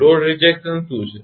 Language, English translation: Gujarati, What is load rejection